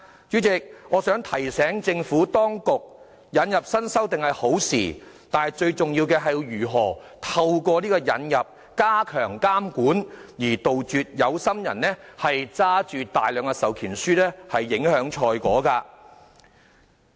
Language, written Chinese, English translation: Cantonese, 主席，我希望提醒政府當局，引入新修訂是好事，但最重要的是，如何透過引入修訂來加強監管，杜絕有心人握着大量授權書影響賽果的情況。, President I would like to remind the Administration that it is good to introduce new amendments yet the key is how to step up supervision by means of the amendments so as to prevent people with ulterior motives to get hold of a large number of proxy forms to affect the results of the tendering exercises